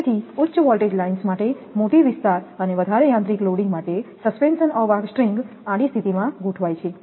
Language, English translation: Gujarati, So, for high voltage lines having larger spans and greater mechanical loading, suspension insulator strings are arranged in a horizontal position